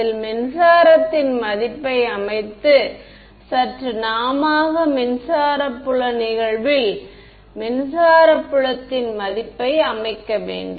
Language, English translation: Tamil, In which set the value of the electric just manually set the value of electric field incident electric field